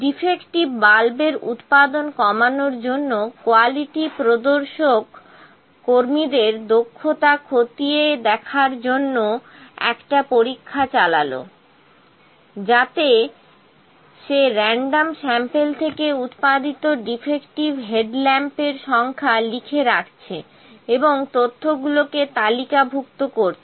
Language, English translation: Bengali, To minimize the production of defective the quality inspector conducts a test to check the efficiency of the workers in which he note down the number of defective headlamps produced, by taking a random sample and tabulate the data